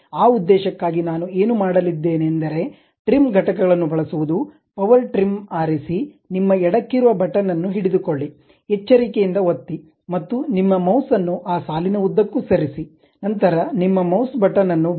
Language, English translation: Kannada, For that purpose, what I am going to do use trim entities, pick power trim, carefully click hold your left button click hold, and move your mouse along that line, then release your mouse button